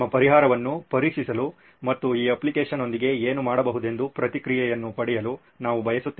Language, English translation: Kannada, We would like you to test the solution and get a feedback what can be done with this application